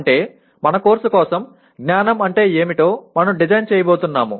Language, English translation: Telugu, That means for our course, this is the way we are going to design what is knowledge